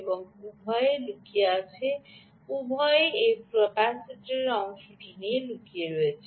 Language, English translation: Bengali, both of them are hidden, their part of this capacitor